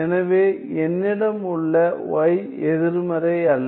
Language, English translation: Tamil, So, I have that y is non negative